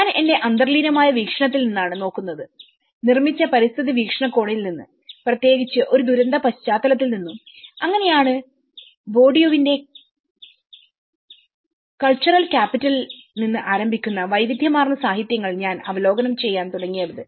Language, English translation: Malayalam, I am looking from my ontological perspective, the built environment perspective and especially, in a disaster context, so that is where I started reviewing a variety of literature starting from Bourdieu’s cultural capital